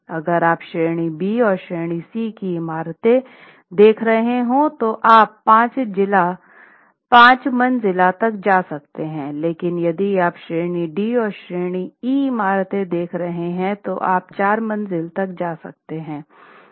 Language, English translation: Hindi, If you are looking at category B and category C buildings, you can go up to five stories, but if you are looking at category D and category E buildings, you can go up to four stories